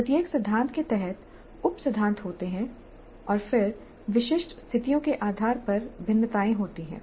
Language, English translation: Hindi, Because under each principle there are sub principles and then there are variations based on the specific situations